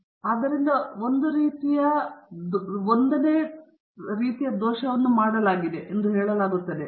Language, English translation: Kannada, So, a type I error is said to be made